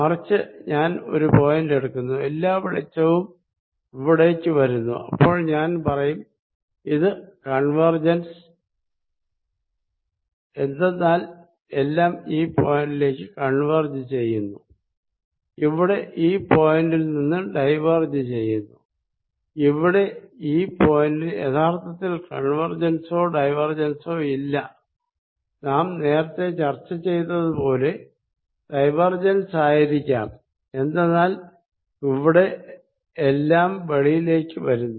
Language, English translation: Malayalam, On the other hand, if I take a point here we are all the light is coming in, then I will say this is convergent as converging to this point is diverging from this point, here at this point there is really no convergence and divergence they could be as we just discussed divergence of this point, because everything is coming out of here